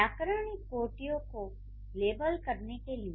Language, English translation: Hindi, To level the grammatical categories